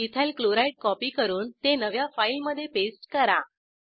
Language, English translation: Marathi, Open a new file, copy Ethyl Chloride and paste it into new file